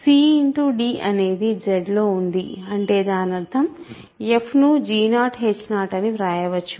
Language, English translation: Telugu, So, cd is in Z that means, f can be written as g 0 h 0, right